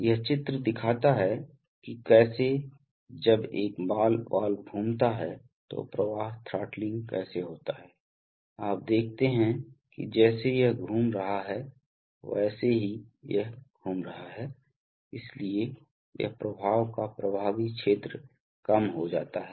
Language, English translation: Hindi, This is, this picture shows how, when a, when a ball valve rotates then how the flow throttling takes place, so you see that as it is as it is rotating, as it is rotating, so this, the effective area of flow gets reduced